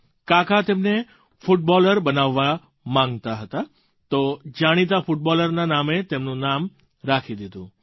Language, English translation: Gujarati, His uncle wanted him to become a footballer, and hence had named him after the famous footballer